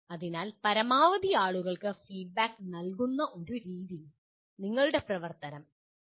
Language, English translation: Malayalam, So you have to work out a method of giving feedback to the maximum number of people